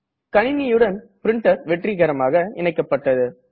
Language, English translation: Tamil, Our printer is successfully added to our computer